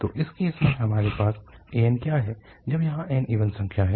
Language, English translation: Hindi, So, in this case, what we have the an when n is an even number here